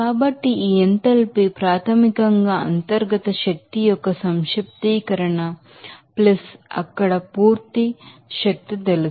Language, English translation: Telugu, So, this enthalpy basically the summation of internal energy + you know full energy there